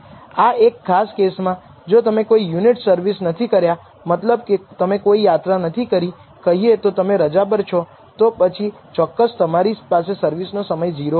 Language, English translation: Gujarati, In this particular case for example, if you do not service any units which means you have not traveled you are not let us say you are on holiday then clearly you would have taken 0 time for servicing